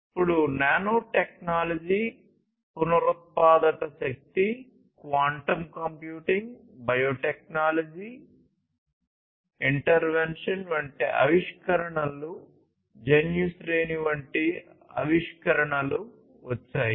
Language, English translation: Telugu, Then came technologies such as nanotechnology, renewable energy , quantum computing, biotechnological interventions innovations like gene sequencing and so on